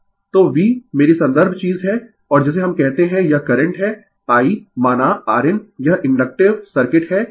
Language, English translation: Hindi, So, V is my reference thing and your what we call this is the current I say R it is in it is inductive circuit